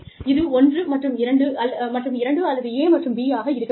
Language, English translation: Tamil, It should be, either one and two, or, a and b